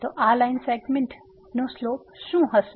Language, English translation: Gujarati, So, what is the slope of this line segment